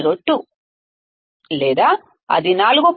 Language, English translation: Telugu, 702 or it will be 4